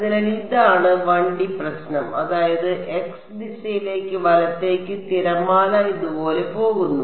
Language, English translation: Malayalam, So, this is the 1D problem; that means, the wave is going like this along the x direction right